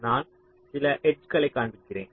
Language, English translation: Tamil, ok, so i am showing some of the edges